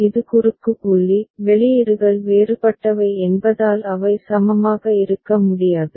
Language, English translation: Tamil, This is the cross point; since the outputs are different they cannot be equivalent